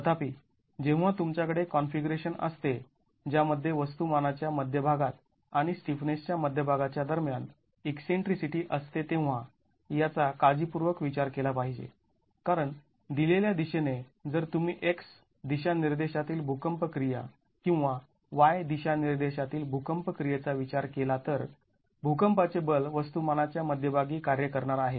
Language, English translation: Marathi, However, when you have a configuration which has eccentricity between the center of mass and center of stiffness, this has to be carefully considered because the in a given direction, if you were to consider x direction seismic action or y or Y direction seismic action, the seismic force is going to be acting at the center of mass